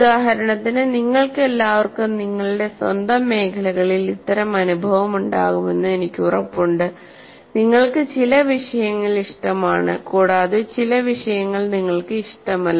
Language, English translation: Malayalam, For example, I'm sure all of you experience in your own areas, you like some subjects, you don't like some subjects